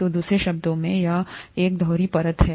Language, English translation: Hindi, So in other words, it has a double layer here